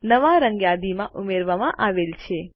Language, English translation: Gujarati, The new color is added to the list